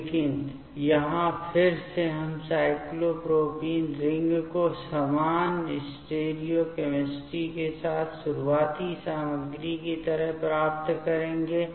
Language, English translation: Hindi, But here again we will get the cyclopropane ring with the similar stereo chemistry like the starting material